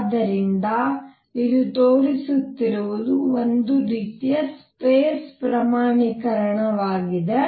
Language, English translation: Kannada, So, what this is showing is some sort of space quantization